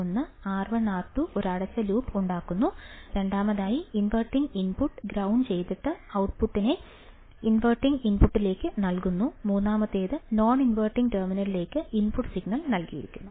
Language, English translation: Malayalam, One is R 1 and R 2 forms a closed loop; second the inverting input is grounded and output is fed to the inverting input; third is the input signal is given to the non inverting opamp